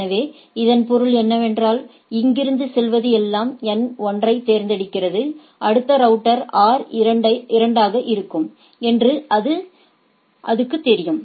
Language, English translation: Tamil, So, that means, from here anything goes 2 looking for N 1, it knows that the next router will be R 2 right